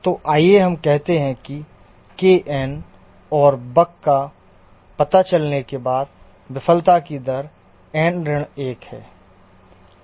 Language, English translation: Hindi, And the failure rate after a bug has been detected and corrected is n minus 1, kn minus 1